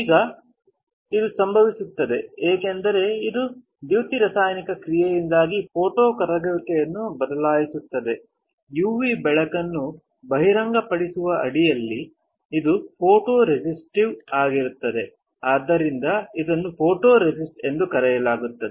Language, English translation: Kannada, This example of your positive and negative photoresist Now, this happens because it changes the photo solubility due to photochemical reaction under the expose of UV light as this is photosensitive which is why it is called photoresist